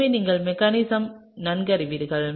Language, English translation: Tamil, So, you are very well aware of the mechanism